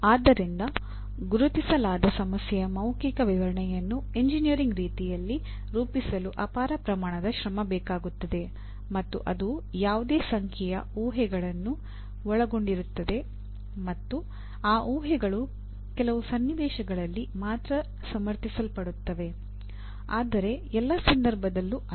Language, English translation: Kannada, So translating a verbal description of an identified problem into formulating in an engineering way will take a tremendous amount of effort and it will involve any number of assumptions and those assumptions are justifiable only in certain context but not in all context